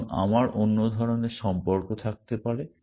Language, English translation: Bengali, And I can have other kinds of relation